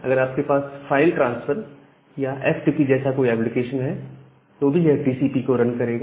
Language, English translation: Hindi, If you have a file transfer or FTP kind of application that may again run TCP